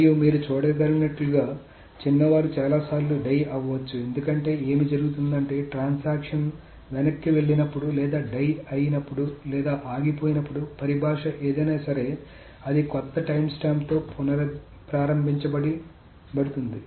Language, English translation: Telugu, So this is the thing and the younger ones as you can see can die many many times because what happens is that when a transaction rolls back or dies or abodes whatever is the terminology it restarts with a new time start